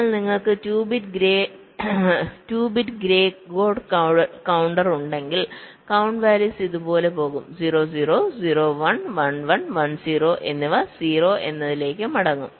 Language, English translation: Malayalam, but if you have a two bit grey code counter, the count values will go like this: zero, zero, zero, one, one, one and one, zero, back to zero, zero